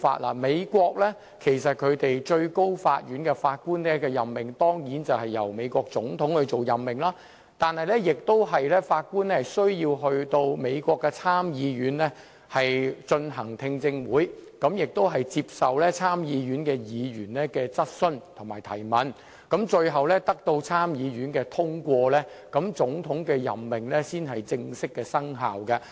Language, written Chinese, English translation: Cantonese, 在美國，最高法院的法官當然是由美國總統作出任命，但法官亦須出席美國參議院的聽證會，接受參議員的質詢，最後要獲得參議院通過，總統的任命才正式生效。, In the United States appointments of Judges to the Supreme Court are certainly made by the President of the United States but the Judges must also attend hearings of the United States Senate and answer questions from the Senators . The appointment by the President will not become officially valid until it is ultimately endorsed by the Senate